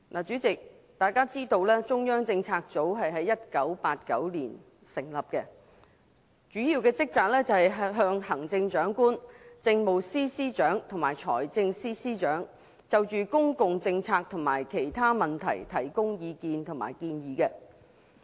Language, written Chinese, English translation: Cantonese, 主席，大家知道中央政策組於1989年成立，主要職責是向行政長官、政務司司長和財政司司長就公共政策及其他問題提供意見及建議。, Chairman as we all know CPU was established in 1989 . Its major duty is to provide advice and recommendations on public policy and other matters to the Chief Executive the Chief Secretary for Administration and the Financial Secretary